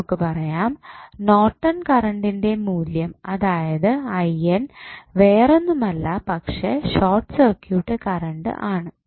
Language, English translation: Malayalam, So, now you got Norton's current that is the short circuit current as 4